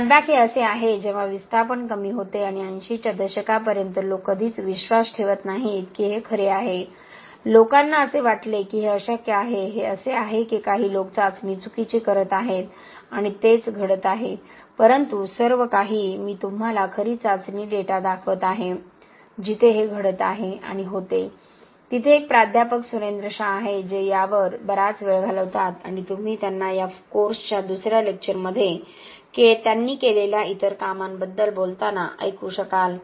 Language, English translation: Marathi, It Snapback is this, when the displacement decreases and for many years until the 80s people never believe this was true, people thought this is impossible, this is just that some people are doing the test wrong and that is what is happening but what all I am showing you are real test data where this is happening and there was, there is a professor Surendra Shah who spend a lot of time on this and you will hear him in another lecture of this course talking about other work that he has done